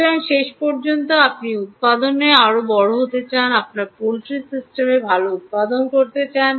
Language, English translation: Bengali, so, ultimately, you want production to be larger, you want to have a good production of your poultry system, ah, uh, uh